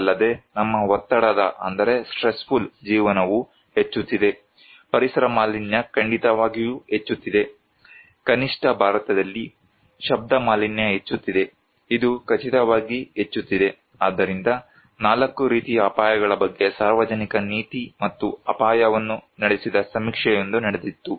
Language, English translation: Kannada, Also, our stressful life is increasing, environmental pollution definitely is increasing, sound pollution is increasing at least in India, it is increasing for sure, so there was a survey conducted public policy and risk on 4 kinds of risk